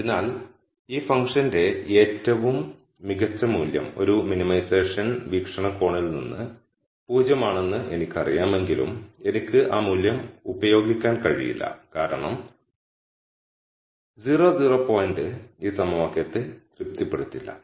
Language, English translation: Malayalam, So, though I know the very best value for this function is 0 from a minimization viewpoint, I cannot use that value because the 0 0 point might not satisfy this equation